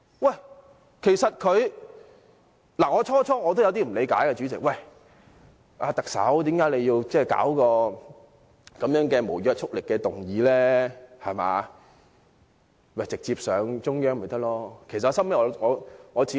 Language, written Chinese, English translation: Cantonese, 代理主席，我最初也有點不理解，不明白特首為何要提出這項無約束力的議案，直接提交中央便成了。, Deputy Chairman initially I did not quite understand why the Chief Executive had to move this non - binding motion as the Government could just submit the proposal directly to the Central Authorities